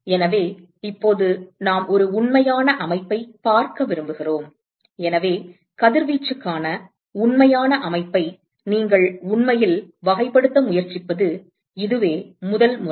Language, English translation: Tamil, So, now supposing we want to look at a real system, so this is the first time you are actually trying to characterize a real system for radiation